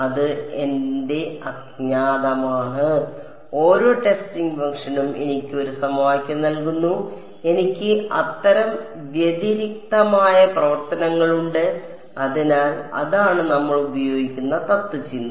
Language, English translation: Malayalam, That is my unknown every testing function gives me one equation and I have n such distinct functions; so, that is that is the sort of philosophy that we use